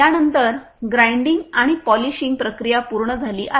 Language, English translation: Marathi, After that the grinding and polishing process has been completed